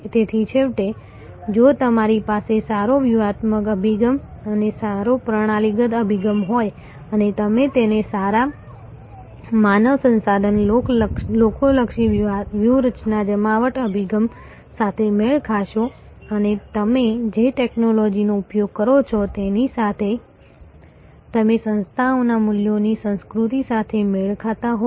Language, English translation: Gujarati, So, finally, therefore, if you have a good strategic approach and a good systemic approach and you match, that with good human resource people oriented strategy deployment approach and you match the organizations values culture with the technology that you are deploying